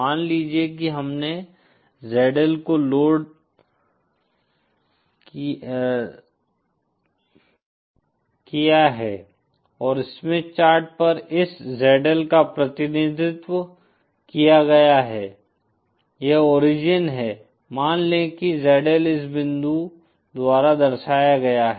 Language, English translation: Hindi, Suppose we have load ZL and say on a Smith Chart this ZL is represented, say this is the origin, say ZL is represented by this point